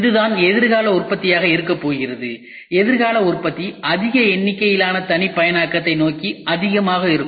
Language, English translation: Tamil, This is what is going to be the future manufacturing; future manufacturing is going to be more towards mass customization